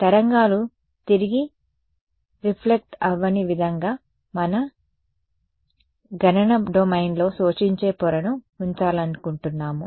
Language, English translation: Telugu, We wanted to put in an absorbing layer in our computational domain such that the waves did not get reflected back